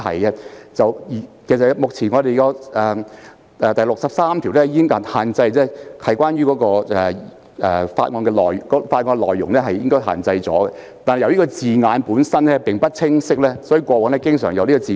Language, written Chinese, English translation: Cantonese, 現有的《議事規則》第63條已訂明所作辯論須限於法案的內容，但由於字眼有欠清晰，過往經常出現爭拗。, It is already provided in the existing RoP 63 that the debate on the motion shall be confined to the contents of the bill but since the wording is not very clear disputes were frequently seen in the past